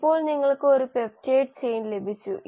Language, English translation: Malayalam, Now you have got a peptide chain